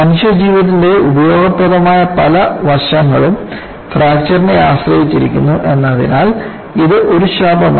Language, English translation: Malayalam, Fracture, as such is not a bane as many useful aspects of human living depend on fracture